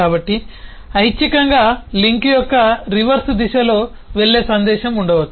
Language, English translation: Telugu, so there could optionally be a message which goes in the reverse direction of the link as well